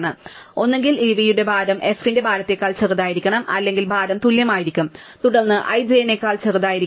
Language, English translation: Malayalam, So, either weight of e must be smaller than weight of f or the weights are equal, then i must be smaller than j, right